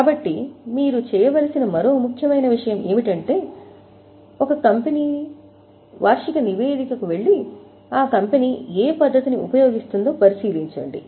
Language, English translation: Telugu, Another important thing you should do is go to your own annual report and check which method the company is using